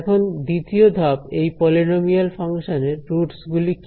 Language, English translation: Bengali, Now, step 2 what are the roots of this polynomial function